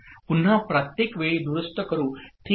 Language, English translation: Marathi, Again let me correct every time